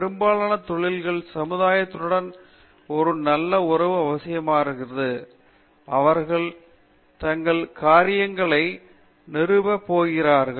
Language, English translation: Tamil, Most of the industries require a cordial relationship with the society in which they are going to be establishing their thing